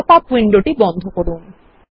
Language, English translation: Bengali, Close the pop up window